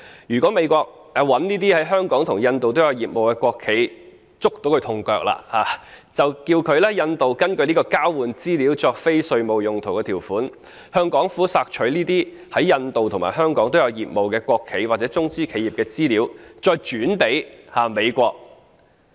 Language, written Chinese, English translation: Cantonese, 如果美國找到這些在香港及印度也有業務的國企的"痛腳"，大可以叫印度根據這項交換資料作非稅務用途的條款，向香港索取該等在印度及香港均有業務的國企或中資企業的資料，再轉交美國。, With some handles against some state - owned enterprises and Chinese - funded enterprises with operations both in Hong Kong and India in hand the United States may well ask India to request information of those state - owned enterprises and Chinese - funded enterprises in accordance with the provision on the use of the exchanged information for non - tax related purposes and pass it onto the United States